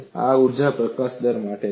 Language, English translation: Gujarati, This is for energy release rate